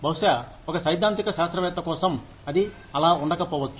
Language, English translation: Telugu, May be, for a theoretical scientist, that may not be the case